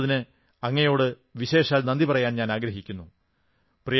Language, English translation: Malayalam, I specially thank you for your phone call